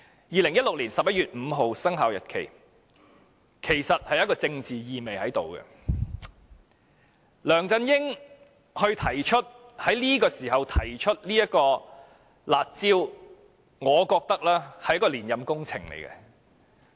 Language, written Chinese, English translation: Cantonese, 2016年11月5日的生效日期其實帶政治意味，梁振英當時提出"辣招"，我覺得是一項連任工程。, The commencement date which was 5 November 2016 actually carries a political implication . LEUNG Chun - yings then proposal for the curb measures in my opinion served as part of his re - election campaign